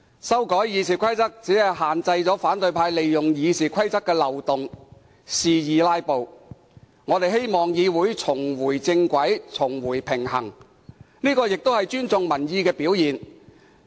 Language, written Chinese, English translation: Cantonese, 修改《議事規則》只是限制反對派利用《議事規則》的漏洞肆意"拉布"，我們希望議會重回正軌，回復平衡，這也是尊重民意的表現。, Amending RoP merely aims at restricting the opposition camp from exploiting the loophole in RoP for wanton filibustering . We hope the Council may get back on the right track and regain its balance . This is also a manifestation of respecting public opinions